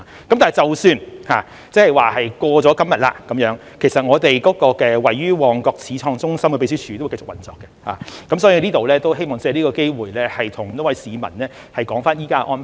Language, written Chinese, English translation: Cantonese, 但是，即使過了今天，其實我們位於旺角始創中心的秘書處會繼續運作，我希望藉此機會向市民交代現時的安排。, Nevertheless even after today our Secretariat at Pioneer Centre Mong Kok will continue to operate . I would like to take this opportunity to explain the present arrangement to the public